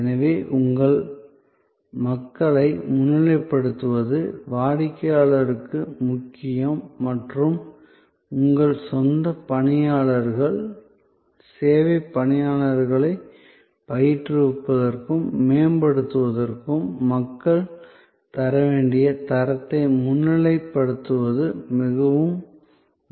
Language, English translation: Tamil, So, highlighting your people is important for the customer and highlighting the kind of quality, the people must deliver is also very important for training and upgrading your own personnel, service personnel